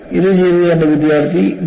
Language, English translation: Malayalam, It was done by my student V